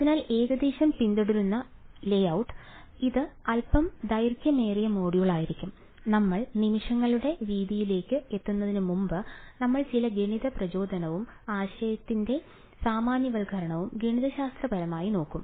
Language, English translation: Malayalam, So roughly the layout that will follow, this is going to be a slightly lengthy module is before we get to actually before we get to the method of moments, we will look at some math motivation and generalization of the idea mathematically what it is